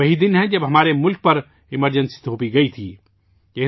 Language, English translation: Urdu, This is the very day when Emergency was imposed on our country